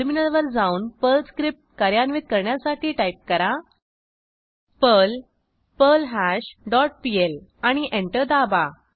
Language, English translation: Marathi, Then switch to terminal and execute the Perl script as perl perlHash dot pl and press Enter